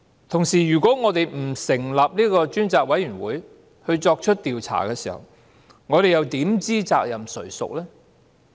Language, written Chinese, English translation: Cantonese, 同時，如果我們不成立專責委員會進行調查，我們又怎知責任誰屬呢？, Moreover if we do not establish a select committee to conduct an inquiry how can we determine who should be responsible?